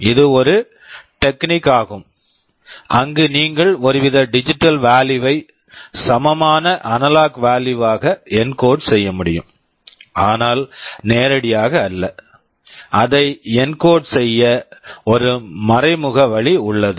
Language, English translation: Tamil, It is a technique where you can encode the value of some kind of digital value into an equivalent analog value, but not directly; there is an indirect way of encoding it